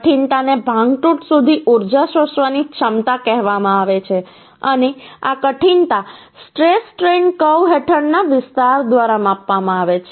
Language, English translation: Gujarati, Toughness is called the ability to absorb energy up to fracture and this toughness is measure by the area under the stress strain curve